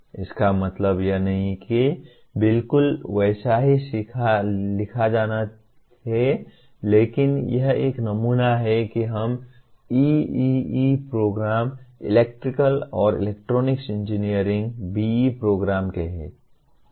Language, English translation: Hindi, It does not mean that it has to be exactly written like that but this is one sample of let us say EEE program, Electrical and Electronics Engineering B